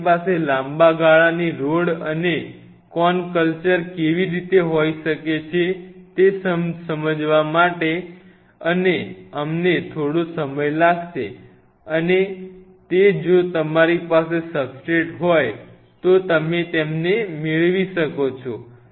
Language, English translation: Gujarati, It took us a while to figure out how you can have a long term ROD and CONE culture and that is where we figure out you can have it if you have a substrate